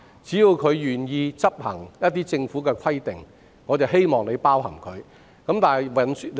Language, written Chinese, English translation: Cantonese, 只要業界願意遵行某些規定，我們希望有關計劃能夠涵蓋他們。, We hope that the industry can be covered by the scheme so long as it is willing to comply with certain requirements